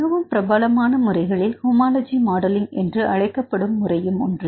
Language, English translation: Tamil, So, they developed the methodology called the homology modelling or comparative modelling